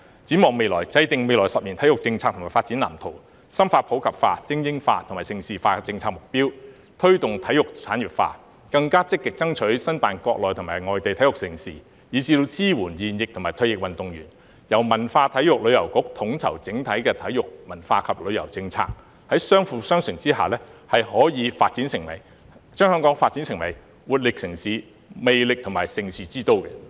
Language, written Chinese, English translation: Cantonese, 展望未來，制訂未來十年體育政策及發展藍圖、深化普及化、精英化及盛事化的政策目標、推動體育產業化、更積極爭取申辦國內及外地體育盛事，以至支援現役和退役運動員，由文體旅遊局統籌整體的體育文化及旅遊政策，在相輔相成之下，是可以把香港發展成為活力城市、魅力和盛事之都。, Looking ahead complemented by the coordination of the overall sports cultural and tourism policies by the Culture Sports and Tourism Bureau formulating sports policy and development blueprint over the coming decade deepening the policy objectives of further promoting sports in the community supporting elite sports and promoting Hong Kong as a centre for major international sports events facilitating the industrialization of sports seeking to bid for the hosting of national and overseas sports events more proactively as well as supporting serving and retired athletes can develop Hong Kong into a vibrant and glamorous city and a prime destination for hosting major international sports events